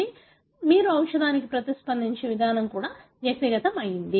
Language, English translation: Telugu, Therefore, the way you respond to a drug also is individual specific